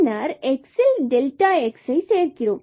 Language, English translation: Tamil, 1 and delta x is equal to 0